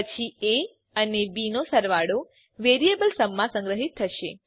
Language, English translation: Gujarati, Then sum of a amp b will be stored in the variable sum